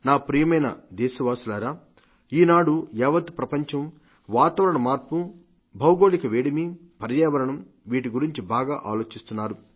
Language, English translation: Telugu, My dear countrymen, today, the whole world is concerned deeply about climate change, global warming and the environment